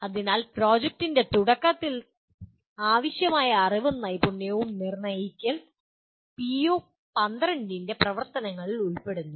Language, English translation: Malayalam, So the activities of PO12 include determine the knowledge and skill needed at the beginning of a project